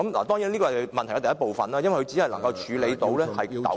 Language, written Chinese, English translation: Cantonese, 當然，這是問題的第一部分，因為它只能處理糾紛......, Of course this is only the first part of the question as it deals only with disputes